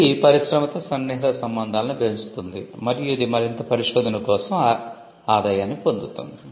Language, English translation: Telugu, It builds closer ties with the industry and it generates income for further research